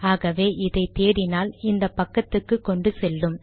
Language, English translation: Tamil, So, a search for this reader takes you to this page